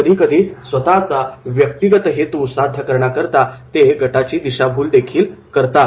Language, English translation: Marathi, Sometimes, manipulating the group for realising personal agenda